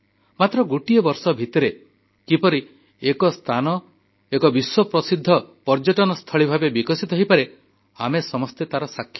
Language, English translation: Odia, We are all witness to the fact that how within a year a place developed as a world famous tourism destination